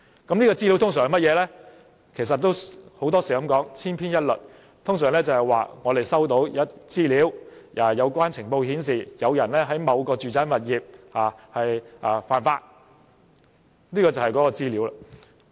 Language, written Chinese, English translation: Cantonese, 這些資料通常也是千篇一律，說收到的資料、情報顯示，有人在某個住宅物業犯法，就是這樣。, This information is often very similar such as saying that the applicant has received information or a lead indicating that someone is doing something illegal in a domestic premises